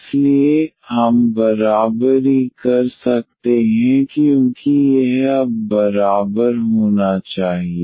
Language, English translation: Hindi, So, we can equate because this must be equal now